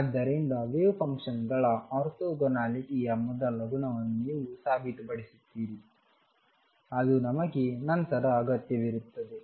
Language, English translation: Kannada, So, this is the orthogonal property of wave function which is going to be satisfied